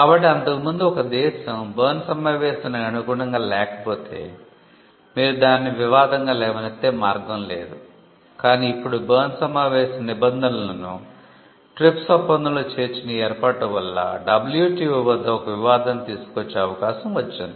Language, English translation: Telugu, So, earlier if a country did not comply with the Berne convention there was no way in which you can raise that as a dispute, but now this arrangement of incorporating Berne convention provisions or the Berne convention into the TRIPS agreement brought in countries the ability to raise a WTO dispute